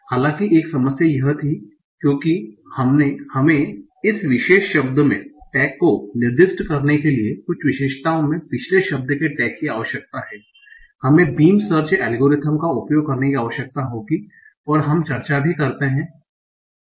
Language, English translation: Hindi, There was one problem though that because we need the sequence of the, we need the tag or the previous word in certain features to assign the tag at this particular word, we will need to use beam search algorithm and we also discuss what is a beam such algorithm